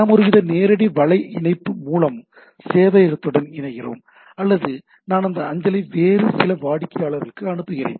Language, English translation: Tamil, And then we are connecting to the server either through some sort of a directly web link, or I am pulling that mail to some other client at the things